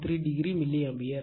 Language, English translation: Tamil, 13, degree milliAmpere